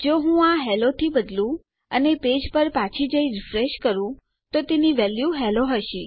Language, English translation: Gujarati, If I change this to hello and I went back to our page and refreshed, itll have the value hello